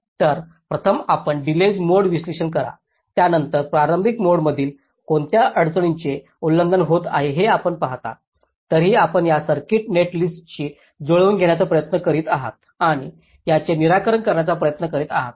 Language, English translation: Marathi, so first you do the late mode analysis, then you see which of the early mode constraints are getting violate it still you try to tune this circuit netlist and trying to address them